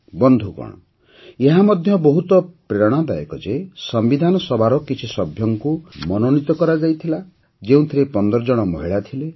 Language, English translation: Odia, Friends, it's again inspiring that out of the same members of the Constituent Assembly who were nominated, 15 were Women